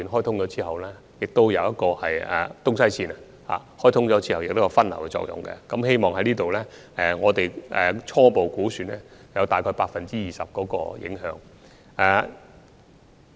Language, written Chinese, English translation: Cantonese, 第二，在沙中線的東西線開通後亦可有分流的作用，根據我們所作的初步估算，大約會有 20% 的影響。, Secondly the commissioning of the East West line of SCL can also help divert passenger flow and according to our initial estimation the effect will be about 20 %